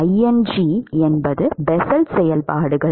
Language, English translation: Tamil, Ing are the Bessel functions